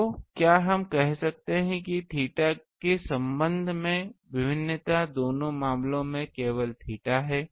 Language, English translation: Hindi, So, can we say you see the variation with respect to theta is only theta in both the cases